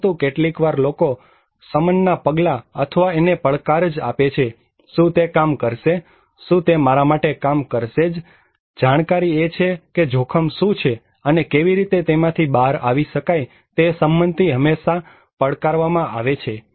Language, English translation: Gujarati, But sometimes people challenge the mitigation measures or preparedness measures itself, will it work; will it work for me so, knowledge is what is risk and how it can be solved that is the consent is always challenged